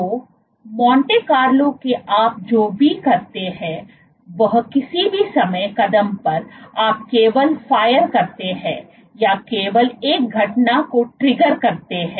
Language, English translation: Hindi, So, in Monte Carlo what you do is at any time step you only fire or the only trigger one of the events